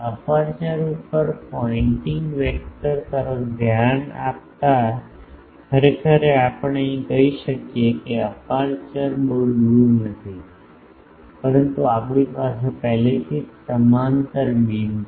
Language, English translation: Gujarati, Pointing vector over aperture that actually here we can say that though aperture is not very far away, but we are having the already a parallel beams